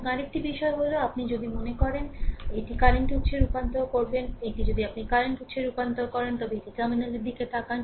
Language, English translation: Bengali, And, another thing is, if this one you want to suppose, convert it to your current source right, that actually this one if you transform into current source, so, plus look at the terminal